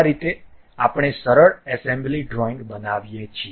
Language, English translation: Gujarati, This is the way we construct a simple assembly drawing